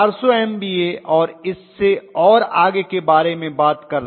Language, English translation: Hindi, You are talking about 400MVA and so on and so forth